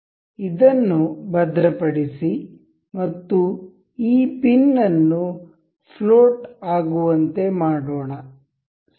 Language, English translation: Kannada, Let us fix this one and make this pin as floating, right